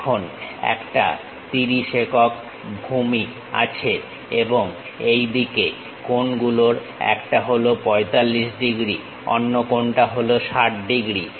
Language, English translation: Bengali, It has a base of 30 units and one of the angle is 45 degrees on this side, other angle is 60 degrees